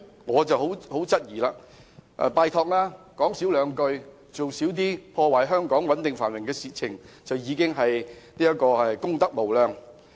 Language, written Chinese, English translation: Cantonese, 我拜託他們少說話，少做破壞香港穩定繁榮的事情，這已是功德無量。, I implore them to speak less and do fewer things detrimental to the stability and prosperity of Hong Kong . By doing so they would have done immeasurable good